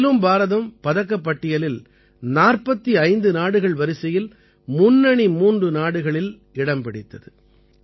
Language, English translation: Tamil, In this, India remained in the top three in the medal tally among 45 countries